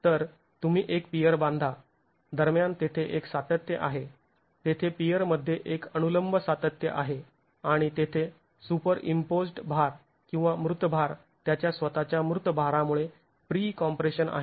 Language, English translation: Marathi, So you construct a peer, there is a continuity between, there is a vertical continuity in a peer and there is pre compression because of the superimposed loads and its dead weight and its own dead weight